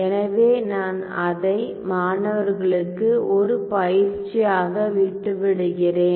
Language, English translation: Tamil, So, that I leave it as an exercise to the students ok